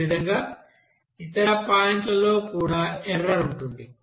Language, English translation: Telugu, Similarly, for other points also there will be an error